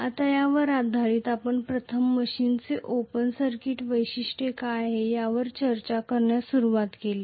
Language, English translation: Marathi, Now, based on this we started discussing first of all what is the Open Circuit Characteristics of the machine